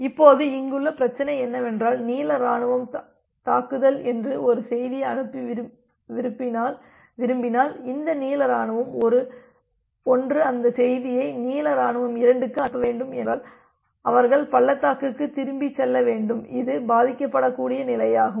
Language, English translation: Tamil, Now, the problem here is that if the blue army wants to send a message called attack, this blue army 1 wants to send that message to blue army 2 they have to go back the valley which is the vulnerable position